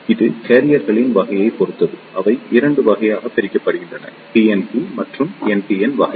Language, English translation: Tamil, Now, depending upon the type of charge carriers, they are divided into 2 categories; PNP and NPN type